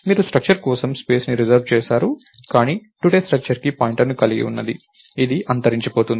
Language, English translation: Telugu, You reserved space for a structure, but today which was holding the pointer to the structure was destroyed